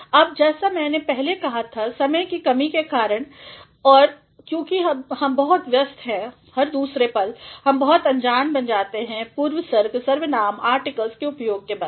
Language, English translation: Hindi, Now, as I said earlier that because of the lack of time and since we are very much occupied every now and then, we are also becoming very ignorant of the uses of prepositions, pronouns, and articles